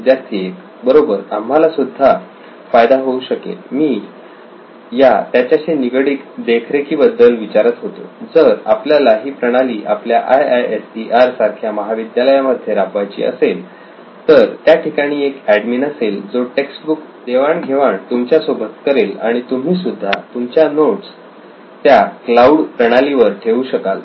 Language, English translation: Marathi, Right, we can also…why I was asking about the monitoring part is, if we want to incorporate this systems in our college like IISER there would be an admin who will be sharing the textbooks to you and you can put up your notes into that cloud system as well